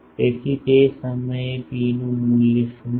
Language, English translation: Gujarati, So, at that point what is the value of rho